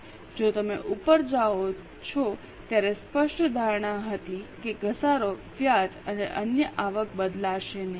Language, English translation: Gujarati, If you go up there was a clear assumption that depreciation, interest and other income will not change